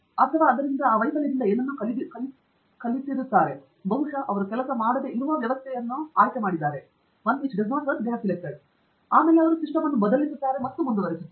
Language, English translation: Kannada, They learn something from it, maybe they have chosen a system that doesn’t work and so on, they change the system and go on